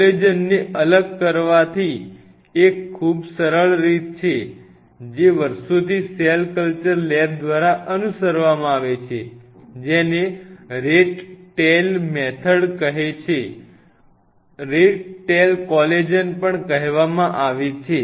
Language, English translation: Gujarati, There is a very easier way to isolate collagen which has been followed years together by most of the cell culture lab that is called Rat tail methods Rat Tail Collagen